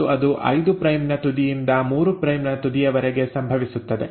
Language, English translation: Kannada, And that happens from 5 prime end to 3 prime end